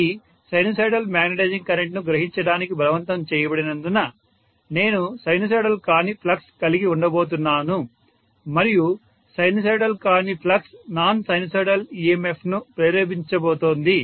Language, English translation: Telugu, Because it is forced to draw a sinusoidal magnetizing current, I am going to have non sinusoidal flux and that non sinusoidal flux is going to induce a non sinusoidal emf that non sinusoidal emf and sinusoidal voltage that I am applying cannot really balance each other